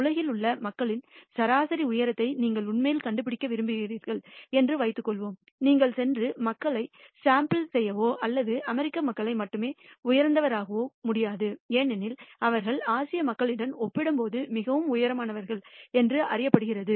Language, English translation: Tamil, Suppose you want to actually find out the average height of people in the world, you cannot go and sample just people or take heights of American people alone because they are known to be much taller compared to the Asian people